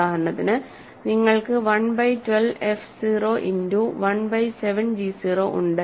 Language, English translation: Malayalam, For example, if you have 1 by 12 f 0 times 1 by 7 g 0